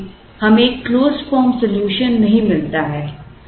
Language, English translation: Hindi, So, we do not get a closed form solution